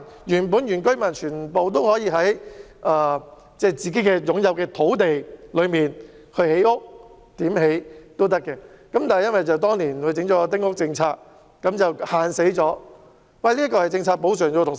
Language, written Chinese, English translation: Cantonese, 原本全部原居民都可以在自己擁有的土地上建屋，不受限制，但由於政府當年實施丁屋政策，所以才對丁屋施加規限。, Originally all indigenous inhabitants could build houses on the land they owned without limitation . However since the Government implemented the small house policy limitations are set on small houses